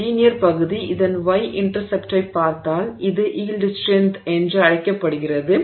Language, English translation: Tamil, So, this linear region, if you look at this the Y intercept of it, this is called the yield strength